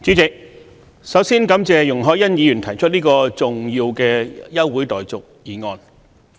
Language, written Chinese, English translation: Cantonese, 主席，首先感謝容海恩議員提出這項重要的休會待續議案。, President I would first of all like to thank Ms YUNG Hoi - yan for moving this important adjournment motion